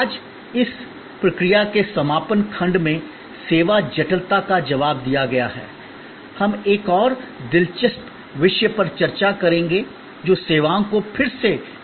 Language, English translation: Hindi, Today, in the concluding section of this process responds to service complexity, we will discuss another interesting topic which is the redesigning services